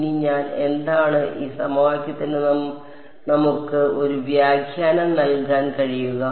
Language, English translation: Malayalam, Now, what am I can we give a interpretation to this equation